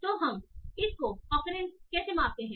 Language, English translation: Hindi, So now how do we measure this coquence